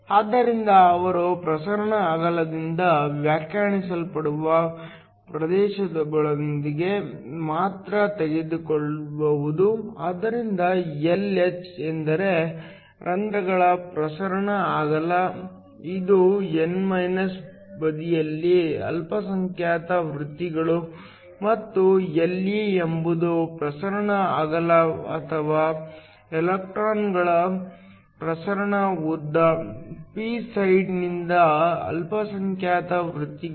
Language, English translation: Kannada, So, They can only defuse within a region which is define by the diffusion width so Lh is the diffusion width of the holes, which are the minority careers on the n side and Le is the diffusion width or the diffusion length of the electrons, which are the minority careers from the p side